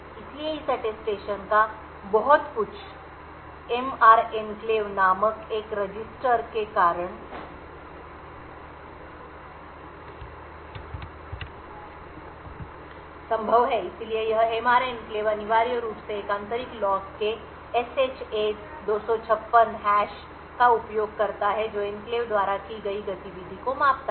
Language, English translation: Hindi, So a lot of this Attestation is possible due to a register known as the MR enclave, so this MR enclave essentially uses a SHA 256 hash of an internal log that measures the activity done by the enclave